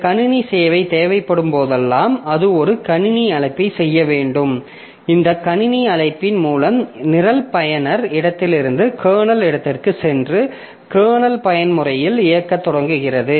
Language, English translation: Tamil, So, whenever you need some system service, a program, it has to make a system call and by this system call the program goes from user space to kernel space and starts executing in the kernel mode